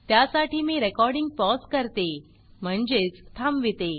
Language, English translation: Marathi, As a result, I will pause the recording when required